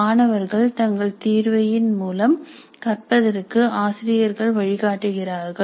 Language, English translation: Tamil, Teachers guide the students to learn through their assessments